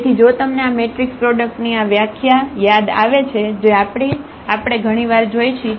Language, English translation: Gujarati, So, if you remember from this definition of this matrix product which we have seen several times